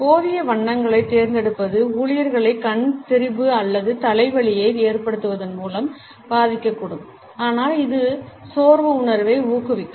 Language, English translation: Tamil, Choosing inadequate colors may impact employees by causing not only eye strain or headache, but also it can encourage a sense of fatigue